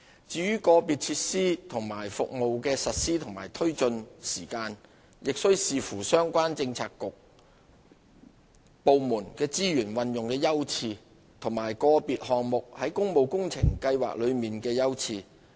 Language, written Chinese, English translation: Cantonese, 至於個別設施和服務的實施及推進時間，亦須視乎相關政策局/部門的資源運用優次，以及個別項目在工務工程計劃內的優次。, With regard to the implementation and development schedule of individual facilities and services they are subject to the resource priorities of the relevant bureauxdepartments as well as their priorities under the Public Works Programme